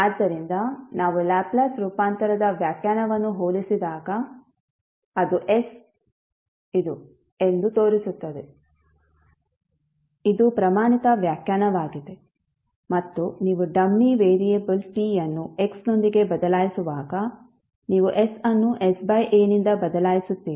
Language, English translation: Kannada, So you can say that when we compare the definition of Laplace transform shows that s is this, the standard definition and you simply replace s by s by a while you change the dummy variable t with x